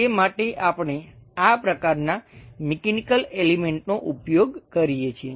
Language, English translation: Gujarati, For that purpose, we use this kind of mechanical element